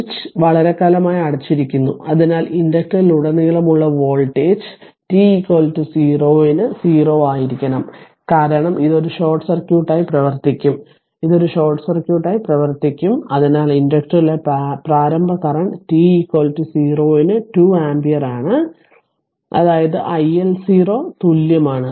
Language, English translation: Malayalam, So, the switch has been closed for a long time and hence the voltage across the inductor must be 0 at t is equal to 0 minus, because it will act as a short circuit it will act as a short circuit right and therefore the initially current in the inductor is 2 ampere at t is equal to minus 0 that is i L 0 is equal